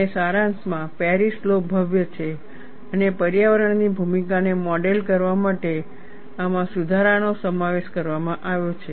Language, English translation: Gujarati, And in summary, Paris law is elegant and corrections are incorporated to this, to model the role of environment